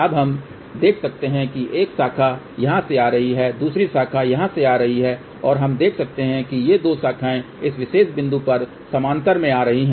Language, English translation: Hindi, Now we can see that a one branch is coming from here another branch is coming from here and we can see that these 2 branches are coming in parallel at this particular point